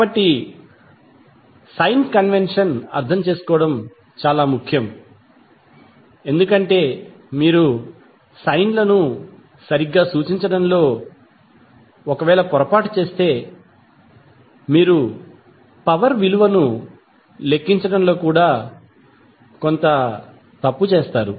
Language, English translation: Telugu, So, the sign convention is very important to understand because if you make a mistake in representing the signs properly you will do some mistake in calculating the value of power